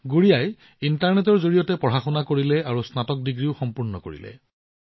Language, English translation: Assamese, Gudiya carried on her studies through the internet, and also completed her graduation